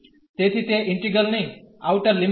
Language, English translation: Gujarati, So, that is the outer limit of the integral